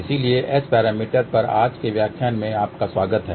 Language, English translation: Hindi, So, welcome to today's lecture on S parameters